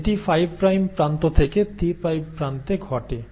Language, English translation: Bengali, And that happens from 5 prime end to 3 prime end